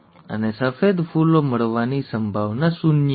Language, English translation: Gujarati, And the probability of getting white flowers is zero